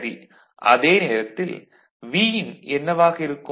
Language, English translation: Tamil, So, at that time what is the Vin –right